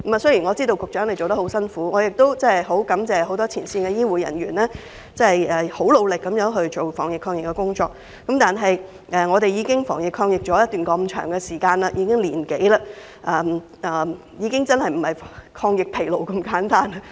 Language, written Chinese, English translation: Cantonese, 雖然我知道局長做得很辛苦，我亦很感謝一眾前線醫護人員努力地防疫抗疫，但香港已經防疫抗疫長達1年多，現在的情況已不是"抗疫疲勞"那麼簡單。, I know the Secretary has been working very hard and I am also grateful to the anti - epidemic efforts of the frontline healthcare personnel but after the long fight of over a year Hong Kong people are now suffering more than anti - epidemic fatigue